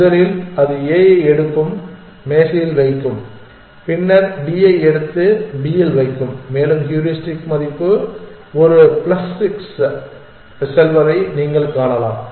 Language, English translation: Tamil, First, it will pick up A and put it on the table and then it will pick up D and put it on B and you can see that the heuristic value is going a plus 6